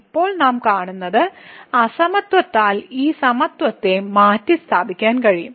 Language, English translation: Malayalam, So, what we see now we can replace this equality by the inequality